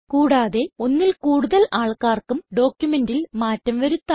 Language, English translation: Malayalam, More than one person can edit the same document